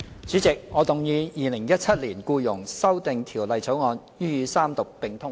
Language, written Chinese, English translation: Cantonese, 主席，我動議《2017年僱傭條例草案》予以三讀並通過。, President I move that the Employment Amendment Bill 2017 be read the Third time and do pass